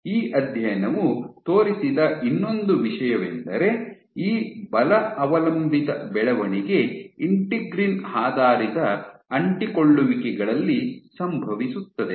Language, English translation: Kannada, One more thing that this study demonstrated was this force dependent growth occurs at integrin adhesions, at integrin based adhesions